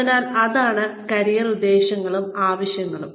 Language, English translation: Malayalam, So, that is, career motives and needs